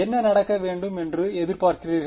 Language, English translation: Tamil, What do you expect should happen